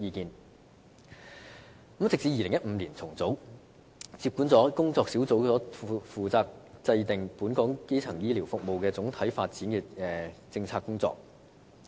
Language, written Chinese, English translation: Cantonese, 健康與醫療發展諮詢委員會在2015年重組，接管了工作小組負責制訂本港基層醫療服務總體發展政策的工作。, HMDAC was reorganized in 2015 to subsume under it the work of WGPC with regard to broader policy issues on primary care development in Hong Kong